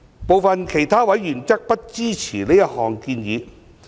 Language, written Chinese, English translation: Cantonese, 部分其他委員則不支持這項建議。, Some other members do not support this proposal